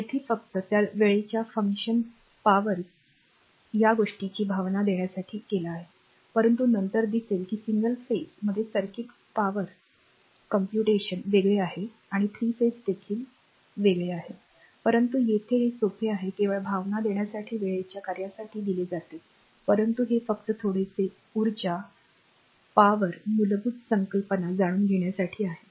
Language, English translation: Marathi, Here just to give you a feeling of that you know time function power and this thing, but later you will see that in single phase circuit we will power your power computation is different and 3 phase also something interesting, but here it is it is here simple it is given in terms of time function just to give you a feeling, but that this is just to know little bit of energy power the basic concept